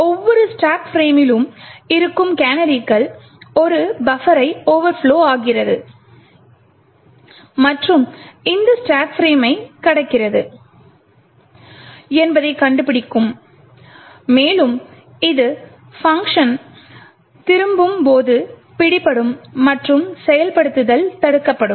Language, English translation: Tamil, The canaries present in each stack frame would detect that a buffer is overflowing and crossing that particular stack frame, and this would be caught during the function return and the subversion of the execution is prevented